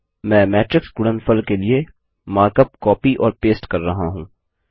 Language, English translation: Hindi, I am copying and pasting the mark up for the matrix product